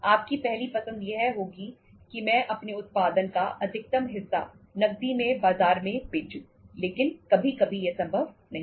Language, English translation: Hindi, Your first choice would be that I would be selling maximum of my production in the market on cash but sometimes itís not possible